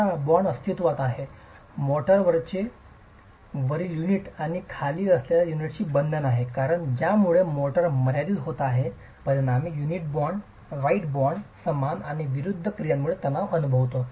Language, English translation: Marathi, Now the bond exists, the motor has a bond with the unit above and the unit below because of which as the motor is getting confined, the unit in turn experiences tension because of the bond, equal and opposite actions